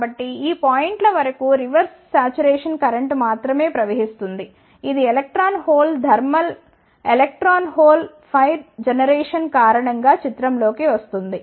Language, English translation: Telugu, So, up to this points only the reverse saturation current will flow which comes into the picture due to the electron hole thermal, ah electron hole pair generation